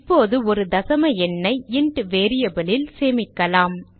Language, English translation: Tamil, Now let us store a decimal number in a int variable